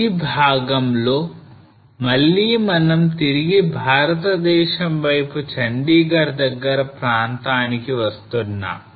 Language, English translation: Telugu, Now this is the part again coming back to India close to the Chandigarh area